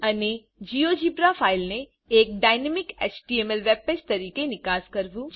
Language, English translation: Gujarati, To export Geogebra as a dynamic webpage